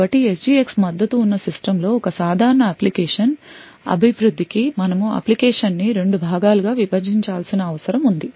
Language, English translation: Telugu, So a typical application development on a system which has SGX supported would require that you actually split the application into two parts